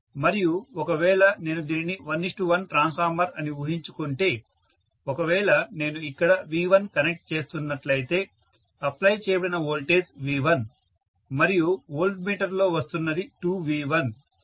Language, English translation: Telugu, And if I assume that it is a one is to one transformer if I am connecting V1 here, voltage applied is V1 and what is coming out on the voltmeter is 2V1